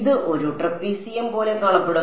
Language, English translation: Malayalam, It will look like a trapezium right